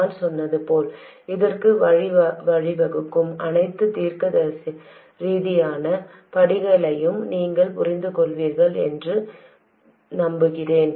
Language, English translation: Tamil, Like I said, hopefully you understand all the logical steps leading to this